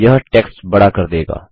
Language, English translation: Hindi, This will make the text bigger